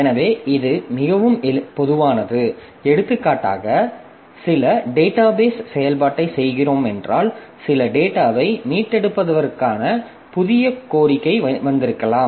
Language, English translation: Tamil, So, that is quite common like we may start for example if we are doing some database operation maybe a new request has come for getting retrieving some data